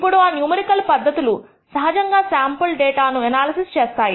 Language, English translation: Telugu, Now, those are numerical methods of actually doing analysis of a sample data